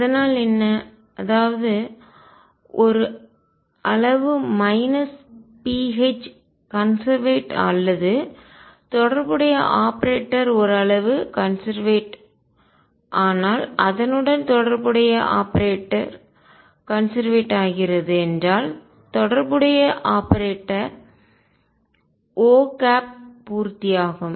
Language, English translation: Tamil, So, what; that means, is if a quantity is conserved pH minus other that or corresponding operator satisfies if a quantity is conserved the corresponding operator, the corresponding operator O satisfies let me write this in the next page